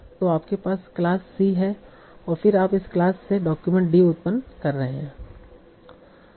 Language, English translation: Hindi, So class will come first and then for that class you will generate the document